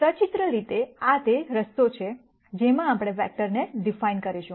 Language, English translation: Gujarati, So, pictorially this is the way in which, we are going to de ne this vector